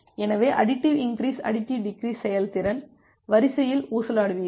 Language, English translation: Tamil, So, in additive increase additive decrease, you will just oscillate on the efficiency line